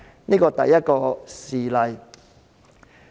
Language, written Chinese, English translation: Cantonese, 這是第一個事例。, This is the first example